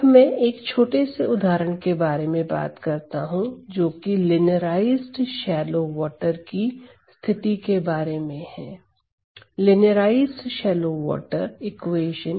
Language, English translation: Hindi, Then, I am going to talk about another short example that is on the case scenario of linearized shallow water, linearized shallow water equation